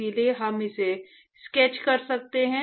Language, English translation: Hindi, So, we can sketch it